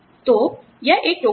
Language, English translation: Hindi, So, it is a basket